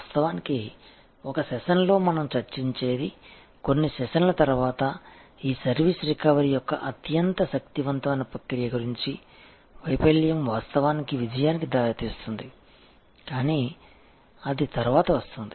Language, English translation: Telugu, And of course, what we will discuss in a session, a couple of sessions later is about this very powerful process of service recovery, where failure can actually lead to success, but that comes later